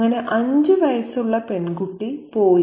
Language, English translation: Malayalam, The five year old girl is free